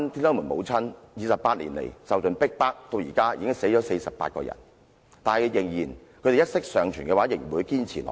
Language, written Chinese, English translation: Cantonese, 她們28年來受盡逼迫，至今48人已經去世，但她們一息尚存的話，仍然會堅持下去。, They have been subjected to all sorts of persecution over the past 28 years and 48 of them have died so far . But they will remain steadfast as long as they still have one breath left